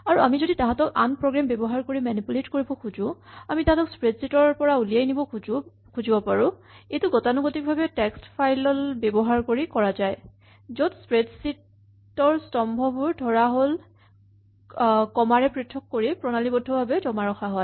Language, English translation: Assamese, And then if we want to manipulate them by using another program, we might want to export them from a spreadsheet this is typically done using text files in which the columns of the spreadsheet are stored in a systematic way separated by say commas